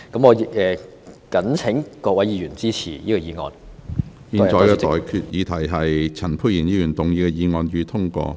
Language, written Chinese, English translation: Cantonese, 我現在向各位提出的待決議題是：陳沛然議員動議的議案，予以通過。, I now put the question to you and that is That the motion moved by Dr Pierre CHAN be passed